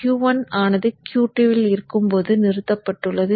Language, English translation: Tamil, So when Q1 is on, Q2 is off